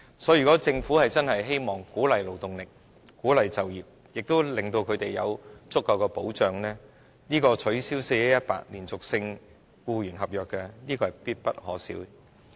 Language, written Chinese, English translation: Cantonese, 所以，如果政府真的希望鼓勵釋放勞動力、鼓勵就業，同時令她們有足夠的保障，取消 "4-1-18" 連續性僱傭合約的規定是必不可少的。, In view of this if the Government really wants to promote release of the working force and encourage employment all the while giving them adequate protection the abolition of the 4 - 1 - 18 continuous contract of employment requirement is a must